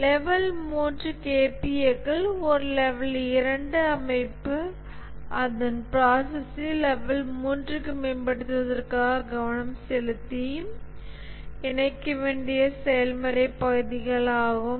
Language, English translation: Tamil, The level 3 KPS are the ones are the process areas which a level 2 organization must focus and incorporate in order to improve its process to level 3